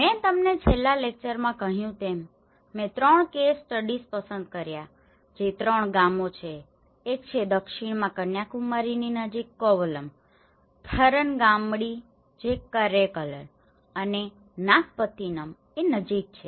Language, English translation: Gujarati, As I said to you in the last lecture, I have selected three case studies which is three villages one is a Kovalam in the South near Kanyakumari, the Tharangambadi which is near Karaikal and Nagapattinam